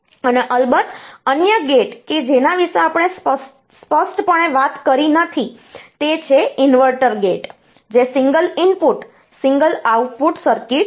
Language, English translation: Gujarati, And of course, another gate that we did not talk about explicitly is the inverter, which is a single input single output circuit